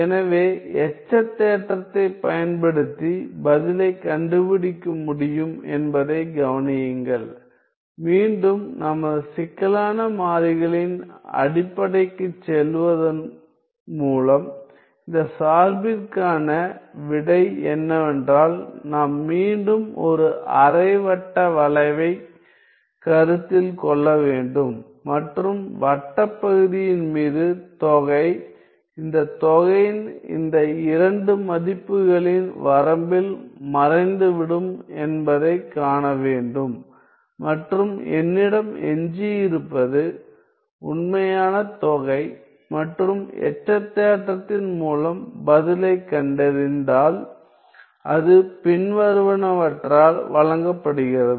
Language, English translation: Tamil, So, notice that again I can find I can find the answer I can find the answer by using residue theorem again going back to our complex variables basics the answer to this expression is that we have to again consider a semicircular arc and see that over the circular part the integral vanishes in the limit in the limit of these two values of this integral and all I am left with is the real integral and if we were to find the answer by the residue theorem it is given by the following